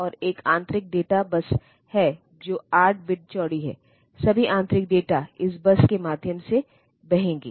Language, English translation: Hindi, And there is an internal data bus which is 8 bit wide; so all the data that are flowing through the internal internally through the processor